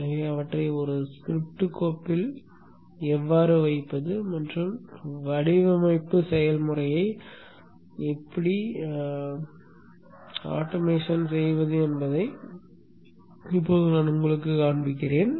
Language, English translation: Tamil, So I will now show you how to put them into a script file and thus automate the design process